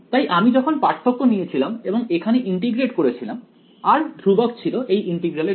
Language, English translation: Bengali, So, when I took the difference and integrated over here r is constant for this integral